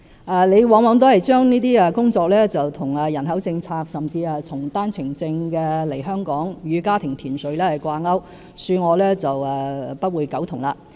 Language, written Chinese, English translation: Cantonese, 范議員往往把這些工作與人口政策，甚至與經單程證來港與家庭團聚的政策掛鈎，恕我不會苟同。, More often than not Mr FAN will link these projects to the population policy as well as the arrangement for family reunion in Hong Kong via the One - way Permits . Sorry I have to take exception to this